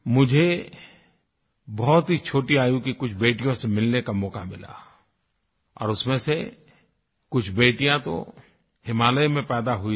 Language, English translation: Hindi, I had the opportunity to meet some young daughters, some of who, were born in the Himalayas, who had absolutely no connection with the sea